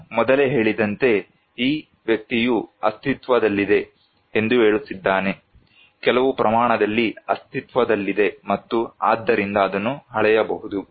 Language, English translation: Kannada, As I said before, this person is saying that anything that exists; exists in some quantity and can, therefore, be measured